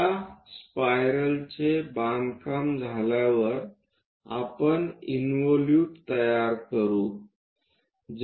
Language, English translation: Marathi, After these spiral is constructed, we will move on to construct an involute